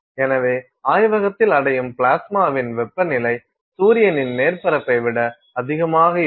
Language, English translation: Tamil, So therefore, the plasma that you are attaining in your lab is a temperature that is higher than the surface of the sun